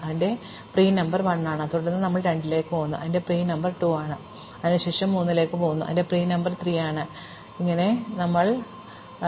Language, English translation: Malayalam, So, its pre number is 1, and then we go to 2, its pre number is 2; then we go to 3, its pre number is 3, and then we immediately leave 3, because we do not have any new neighbors to exit